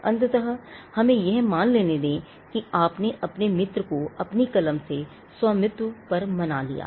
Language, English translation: Hindi, Now, eventually let us assume that, you convinced your friend on the ownership of your pen